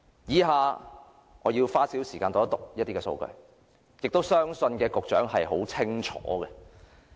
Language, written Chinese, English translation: Cantonese, 以下我要花少許時間讀出一些數據，而我相信局長也很清楚知道這些數據。, Here I would like to spend time reading out some statistics which I believe the Secretary is well aware of